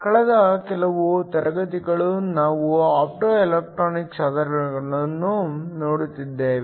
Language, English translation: Kannada, The last few classes we have been looking at Optoelectronic devices